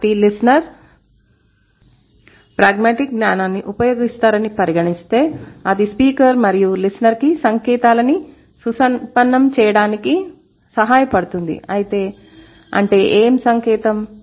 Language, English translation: Telugu, So, considering the hearers they draw on their pragmatic knowledge that helps both the speaker and the listener to enrich the sign and what sign